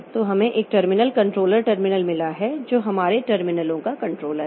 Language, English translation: Hindi, So we have got terminal controller, terminal, they control of controller for terminals